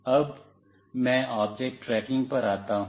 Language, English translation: Hindi, Now, let me come to object tracking